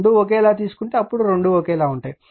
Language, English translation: Telugu, If you take both are same 4 4 then both will be same right